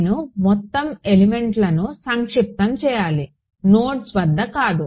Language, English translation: Telugu, I have to sum overall elements not nodes right once I